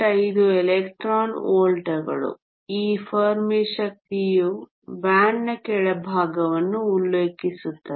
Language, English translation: Kannada, 5 electron volts this Fermi energy is with reference to the bottom of the band